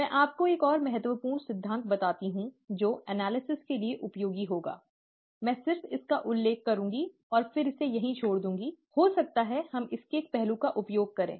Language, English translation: Hindi, Let me tell you another important principle that will be useful for analysis, I will just mention it to you and then leave it there, may be we will use one aspect of it